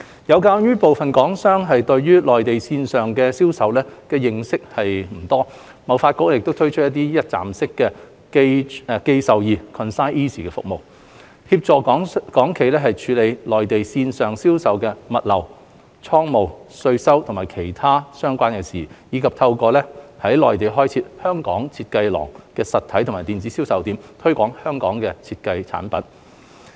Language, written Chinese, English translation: Cantonese, 有鑒於部分港商對內地線上銷售的認識不多，貿發局推出一站式"寄售易"服務，幫助港企處理內地線上銷售的物流、倉務、稅收和其他相關的事宜，以及透過在內地開設"香港.設計廊"實體及電子銷售點，推廣香港設計產品。, As some Hong Kong enterprises may not be familiar with online sales in the Mainland HKTDC has launched a one - stop ConsignEasy service to help Hong Kong enterprises manage logistics warehousing taxation and other related matters and promotes Hong Kong - designed products through its physical and online outlets of Design Gallery in the Mainland